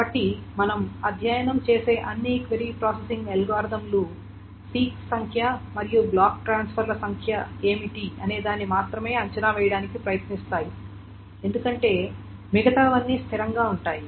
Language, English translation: Telugu, So, all of the query processing algorithms that we will study will try to estimate what is the number of six and what is the number of block transfers because everything else is a constant and can be figured out